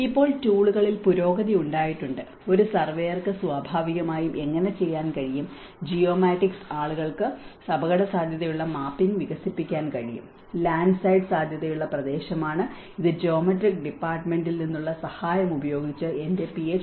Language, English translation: Malayalam, And now there has been advancement in the tools, how a surveyor can naturally do and the geomatics people can develop the hazard mapping, the landside prone area, this is a map developed from my Ph